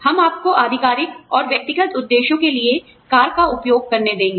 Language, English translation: Hindi, We will let you use the car, for official and personal purposes